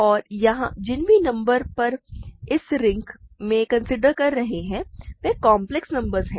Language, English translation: Hindi, And, remember all the numbers that we are considering in this ring are complex numbers